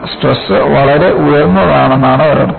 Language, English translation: Malayalam, One meaning is the stresses go very high